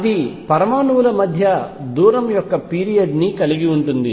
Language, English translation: Telugu, And it has a period of the distance between the atoms